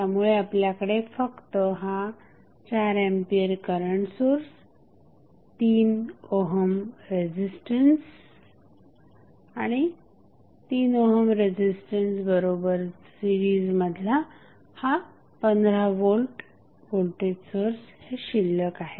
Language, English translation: Marathi, So, you have just simply 4 ampere current source 3 ohm resistance short circuit and this 15 volt voltage source in series with 3 ohm resistance